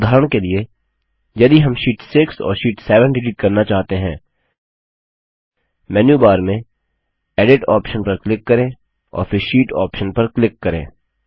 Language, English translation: Hindi, For example if we want to delete Sheet 6 and Sheet 7from the list, click on the Edit option in the menu bar and then click on the Sheet option